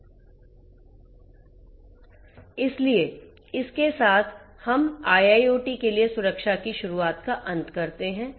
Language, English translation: Hindi, So, with this we come to an end of the introduction of security for IIoT